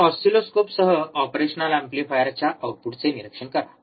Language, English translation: Marathi, So, with an oscilloscope observe the output of operational amplifier